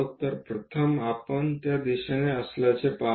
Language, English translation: Marathi, So, first we see that the direction is in that way